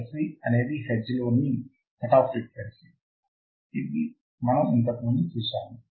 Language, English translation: Telugu, F c is a cutoff frequency in hertz that we have seen earlier also